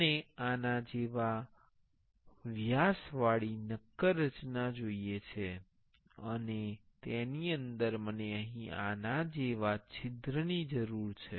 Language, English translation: Gujarati, I want a solid structure like this with this much diameter, and inside that, I need a hole here like this